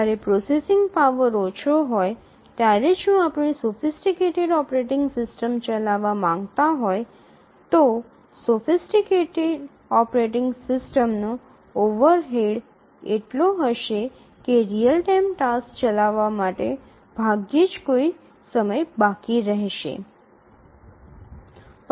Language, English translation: Gujarati, When the processing power is small, if we want to run a sophisticated operating system, then the overhead of the operating system will be so much that there will be hardly any time left for running the real time tasks